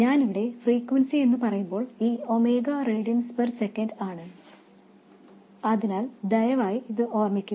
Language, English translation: Malayalam, And when I say frequency here, this omega is in radiance per second so please keep that in mind